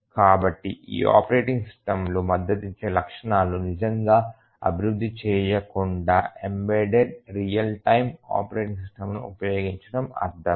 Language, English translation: Telugu, So, it makes sense to use a embedded real time operating system rather than really developing the features that these operating systems support